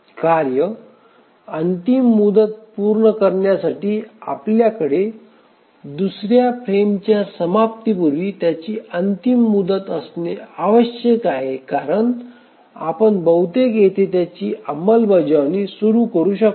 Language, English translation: Marathi, And in this case for the task to meet its deadline we must have its deadline before the end of the second frame because we may at most start its execution here